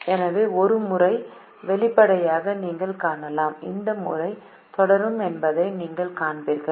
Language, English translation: Tamil, so you can see a pattern emerging and you will see that this pattern will continue